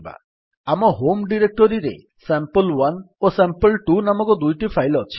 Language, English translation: Odia, We have two files named sample1 and sample2 in our home directory